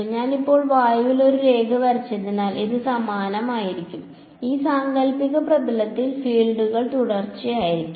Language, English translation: Malayalam, It would be the same because I have just drawn a line in air right the fields will be continuous across this hypothetical surface